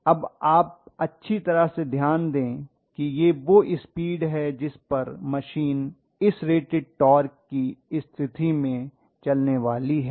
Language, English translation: Hindi, Then you can very well note that this is the speed at which the machine is going to run at this particular rate at torque condition